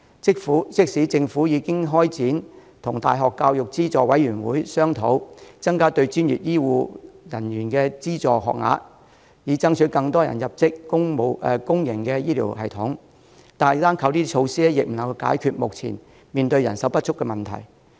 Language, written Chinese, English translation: Cantonese, 即使政府已開始與大學教育資助委員會商討增加對專業醫護人員的資助學額，以爭取更多人入職公營醫療系統，但單靠這些措施仍不能解決目前面對的人手不足問題。, The Government has begun discussing with the University Grants Committee about increasing the number of subsidized places for health care professionals in a bid to attract more people to join the public health care system . However these measures alone cannot resolve the present problem of manpower shortage